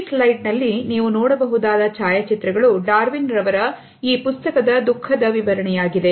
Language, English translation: Kannada, The photographs which you can see on this slide are the illustration of grief from this book by Darwin